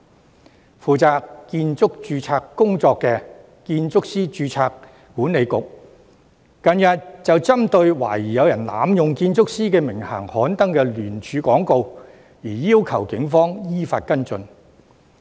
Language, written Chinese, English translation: Cantonese, 近日負責建築師註冊工作的建築師註冊管理局，便針對懷疑有人濫用建築師名銜刊登的聯署廣告，要求警方依法跟進。, Recently in respect of the alleged abuse of the title of architects in an advertisement the Architects Registration Board responsible for the registration of architects has requested the Police to follow up in accordance with the law